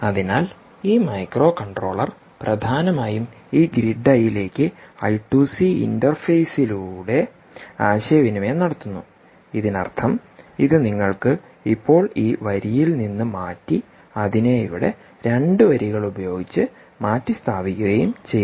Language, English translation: Malayalam, ok, so this microcontroller is essentially communicating to this grid eye over i two c interface, which means this: you can now rub off this line and nicely replace it with two lines here: ah, um, and this is the grid eye sensor